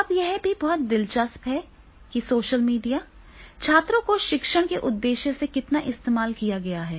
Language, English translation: Hindi, Now this is very also interesting that is the social media, how much it had been used for the purpose of the teaching to the students